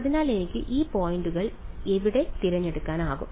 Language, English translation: Malayalam, So, where can I choose these points